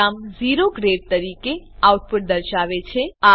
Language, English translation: Gujarati, The program will display the output as O grade